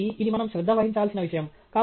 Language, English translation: Telugu, So, this is something that we need to pay attention too